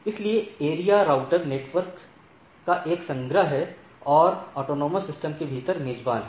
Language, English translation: Hindi, So, area is a collection of routers network and host within an autonomous system